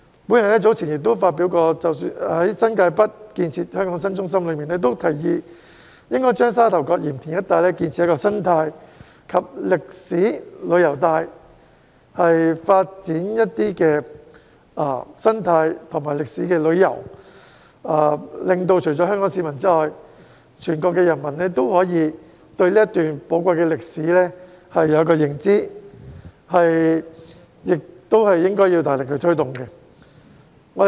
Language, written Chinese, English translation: Cantonese, 我早前曾發表《新界北建設香港新中心倡議書》，建議應該在沙頭角鹽田一帶建設生態及歷史旅遊帶，發展生態和歷史旅遊，令到除了香港市民外，全國人民也可以對這段寶貴歷史有所認知，這亦應該要大力推動。, Earlier on I have published a proposal on developing New Territories North into a new centre in Hong Kong recommending that an ecological and historical tourism belt should be established in the vicinity of Sha Tau Kok and Yantian for the development of eco - tourism and historical tourism so that the people of not only Hong Kong but also the whole country will be able to learn about this precious episode in history . This warrants promotion with great efforts